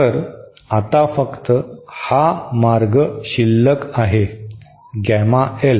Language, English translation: Marathi, So, now only this path remains, gamma L